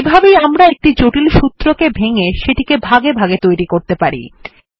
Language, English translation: Bengali, This is how we can break down complex formulae and build them part by part